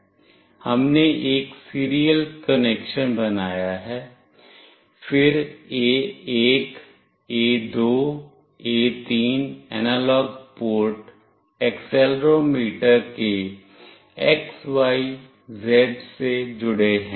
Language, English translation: Hindi, We have built a serial connection, then A1, A2, A3 analog ports are connected with X, Y, Z out of the accelerometer